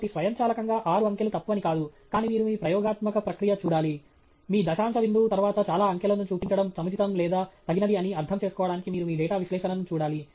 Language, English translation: Telugu, So, it is not that automatically six digits is wrong, but you need to look at your experimental process, you need to look at your data analysis to understand if showing so many digits after your decimal point is appropriate or inappropriate